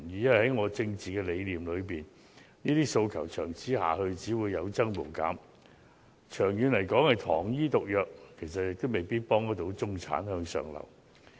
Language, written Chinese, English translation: Cantonese, 因為在我的政治理念裏，這些訴求長此下去只會有增無減，長遠來說是糖衣毒藥，未必真能協助中產向上流動。, This is because in my political ideology there will only be an increase rather than a decrease in the number of such demands in the long run thus rendering these measures sugar coated poison that cannot really help facilitate upward mobility of the middle class